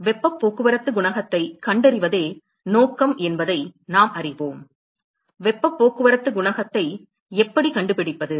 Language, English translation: Tamil, We know the objective is to find heat transport coefficient; how do we find heat transport coefficient